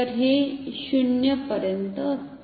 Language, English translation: Marathi, So, this tends to 0